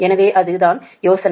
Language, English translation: Tamil, so that is, that is the idea